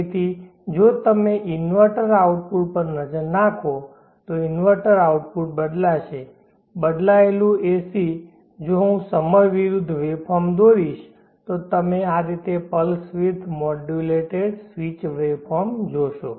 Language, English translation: Gujarati, So if you look at the inverter output the inverter output will be switched as switched AC, if I draw the waveform versus time you will see pulse width modulated switched waveform in this fashion